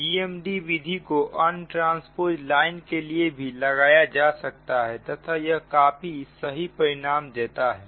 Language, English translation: Hindi, ah gmd method also can be applied to untransposed transmission line and it is quite, it keeps quite, accurate result